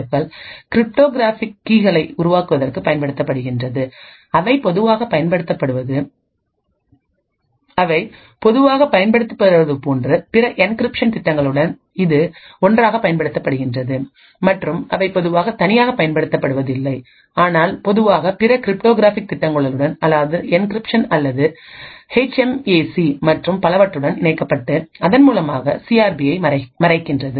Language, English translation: Tamil, So essentially weak PUFs are used for creating cryptographic keys, they are used together with other encryption schemes like they are typically used they are typically not used by itself but typically combined with other cryptographic schemes like encryption or HMAC and so on in order to hide the CRP